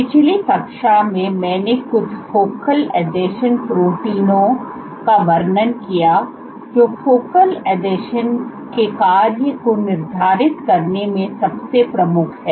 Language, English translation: Hindi, In the last class I describe some of the focal adhesions proteins which are most prominent in dictating the function of focal adhesions